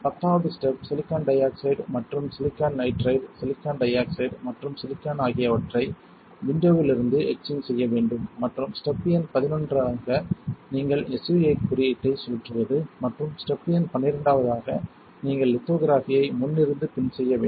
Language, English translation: Tamil, Tenth step would be to etch silicon dioxide and silicon nitride silicon dioxide and silicon from the windows and step number eleven would be you spin code SU 8 and create a tip step number twelve would be you do front to back lithography